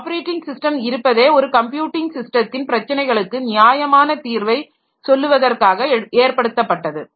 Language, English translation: Tamil, Operating systems exist to offer a reasonable way to solve the problem of creating a usable computing system